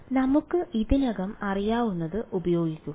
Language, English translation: Malayalam, So, let us use what we already know ok